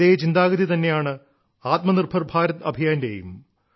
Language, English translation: Malayalam, The same thought underpins the Atmanirbhar Bharat Campaign